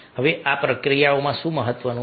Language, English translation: Gujarati, what is important in this process